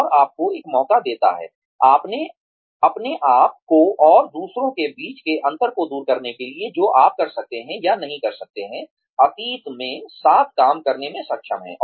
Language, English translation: Hindi, It gives you a chance, to iron out the differences, between yourself and others, who you may or may not, have been able to work, with in the past